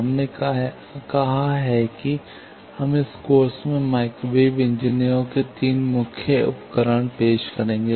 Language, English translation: Hindi, We have said that, we will introduce 3 main tools of microwave engineers in this course